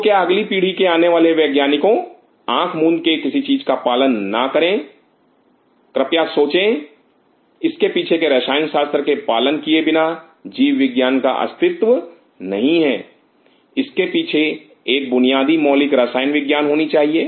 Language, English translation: Hindi, So, please as the next generation upcoming scientist do not follow things blindly please thing this is hollow is a chemistry behind it without that biology does not exist, there has to be a basic fundamental chemistry behind it